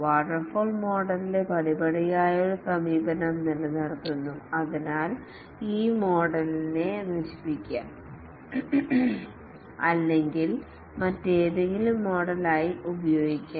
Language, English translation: Malayalam, The step wise approach of the waterfall model is retained and therefore this model can be degenerated or can be used as any other model